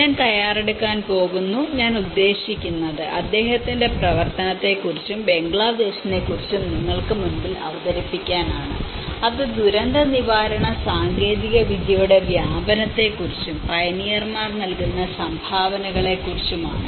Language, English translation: Malayalam, And I am going to prepare, I mean present you about his work and Bangladesh and that is on diffusion of disaster preparedness technology and what pioneers contribute